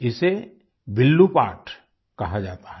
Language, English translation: Hindi, It is called 'Villu paat'